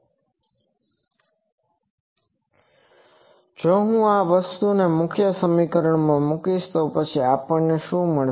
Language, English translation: Gujarati, Now, if I substitute this thing into this main equation, then what we get